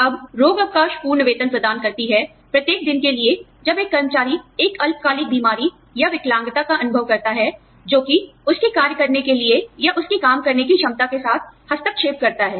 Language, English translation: Hindi, Now, sick leave provides full pay, for each day, that an employee experiences, a short term illness, or disability, that interferes with his or her ability, to perform the job